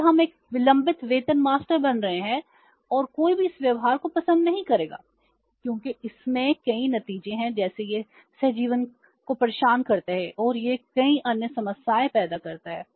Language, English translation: Hindi, So, we are becoming a delayed pay master and nobody will like this behaviour because it has many repercussions like it disturbed the symbiosis and it creates many other problems